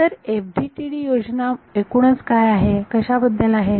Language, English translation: Marathi, So, what is the FDTD scheme all about